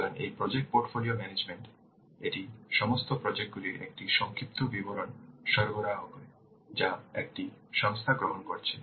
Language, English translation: Bengali, So, this project portfolio management, it provides an overview of all the projects that an organization is undertaking